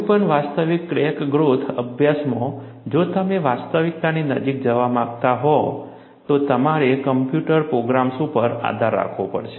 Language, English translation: Gujarati, In any realistic crack growth studies, if you want to go closer to reality, you have to depend on computer programs